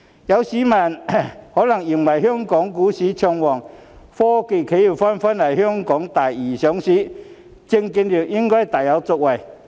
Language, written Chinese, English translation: Cantonese, 有市民可能認為，香港股市暢旺，科技企業紛紛來港第二上市，證券業應該大有作為。, Some people may think that the securities industry should have promising prospects as the Hong Kong stock market is booming and technology enterprises are coming to Hong Kong for secondary listings one after another